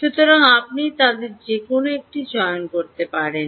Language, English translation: Bengali, right, so you could choose any one of them, right